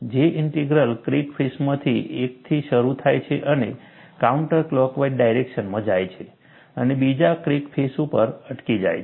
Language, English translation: Gujarati, A J Integral starts from one of the crack faces and goes in a counter clockwise direction and stops at the other crack face